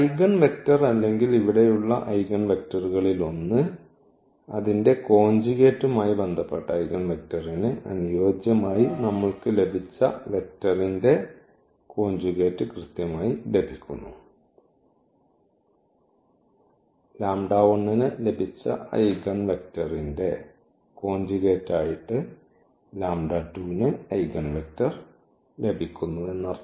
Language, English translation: Malayalam, So, the eigenvector or one of the eigenvectors here we are getting exactly the conjugate of what we have got for the eigenvector corresponding to its conjugate there